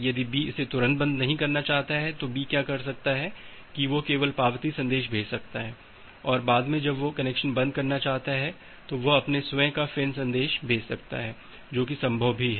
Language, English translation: Hindi, If B does not want to close it immediately then what B can do that B can only sends the acknowledgement message and later on when it wants to close the connection, it can sends the its own FIN message that is also possible